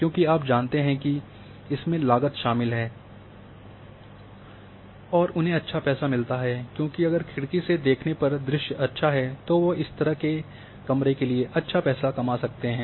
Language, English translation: Hindi, Because you know that this involves the cost and they get in returns because if from window the view is nice they can have higher prices for such rooms